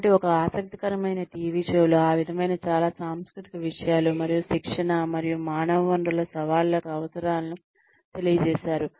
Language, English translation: Telugu, So, an interesting TV show, that sort of sums up, a lot of intercultural infusions, and needs for training and human resources challenges is